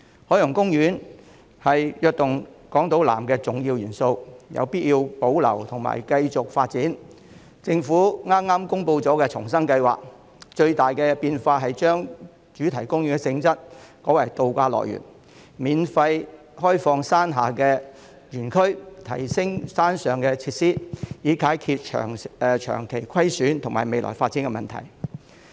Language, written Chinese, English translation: Cantonese, 海洋公園是"躍動港島南"的重要元素，有必要保留和繼續發展，政府剛公布了重生計劃，當中最大的變動是將主題公園的性質改為渡假樂園，免費開放山下的園區和提升山上的設施，以解決長期虧損和未來發展等問題。, As an important element of Invigorating Island South the Ocean Park has to be preserved and developed . The Government has just announced the proposal for the rebirth of Ocean Park in which the biggest changes include repositioning the theme park into a resort destination providing free access to the lower park area and upgrading the facilities at the upper park area so as to address persistent losses and future development